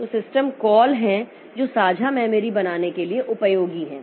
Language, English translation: Hindi, So, there are system calls which are useful for this creating this shared memory